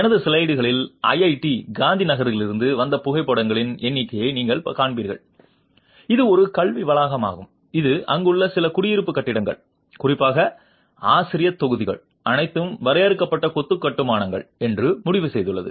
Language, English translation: Tamil, You will see in my slides a number of photographs which are from IIT Gandhneagher which is an educational campus which has decided that some of the residential buildings there particularly the faculty blocks are all confined masonry constructions